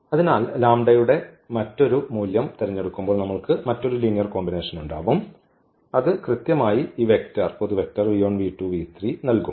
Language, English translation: Malayalam, So, choosing a different value of lambda we have a different linear combination that will give us exactly this vector v 1 v 2 and v 3